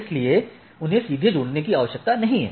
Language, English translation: Hindi, So, they do not need to be directly connected